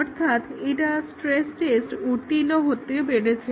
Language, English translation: Bengali, So, this is an example of stress testing